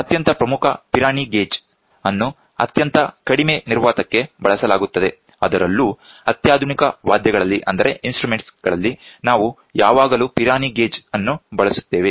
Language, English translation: Kannada, Very important Pirani gauge is used for very low vacuum and that too in the sophisticated instruments, we always use Pirani gauge